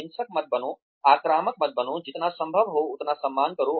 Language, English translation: Hindi, Do not get violent, do not get aggressive, be as respectful as possible